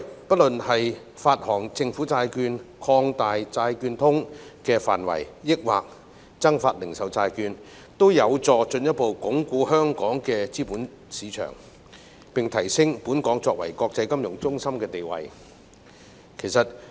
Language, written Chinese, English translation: Cantonese, 不論發行政府債券、擴大"債券通"的範圍，還是增發零售債券，均有助進一步鞏固香港的資本市場，並提升香港作為國際金融中心的地位。, Issuing government bonds expanding the scope of Bond Connect and issuing additional retail bonds will help to further consolidate our capital market and enhance our status as an international financial centre